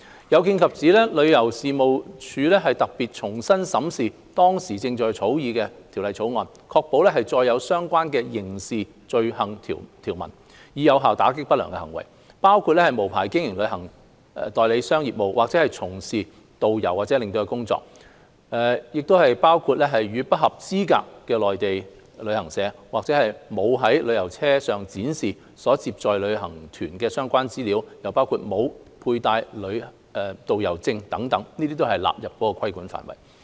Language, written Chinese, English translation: Cantonese, 有見及此，旅遊事務署特別重新審視當時正在草擬中的《條例草案》，確保載有相關的刑事罪行條文，以有效打擊不良行為，包括無牌經營旅行代理商業務，或者從事導遊或領隊工作、與不合資格的內地旅行社合作、沒有在旅遊車上展示所接載旅行團的相關資料、沒有配戴導遊證等，這些均會被納入規管範圍。, Thus the Tourism Commission had reviewed the Bill during its drafting stage to ensure that it contains provisions on criminal offences so as to effectively combat unscrupulous acts including carrying on travel agent business without a licence; working as a tourist guide or tour escort without a licence; cooperating with an unauthorized Mainland travel agent; failing to display the prescribed information about a tour group on a vehicle arranged for transporting the tour group; and failing to wear a tourist guide pass etc . These acts will be incorporated into the scope of regulation